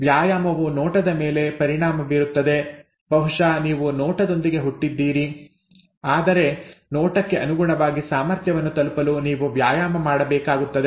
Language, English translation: Kannada, The exercise affects the looks, maybe you are born with the looks but you need to exercise to reach the potential in terms of the looks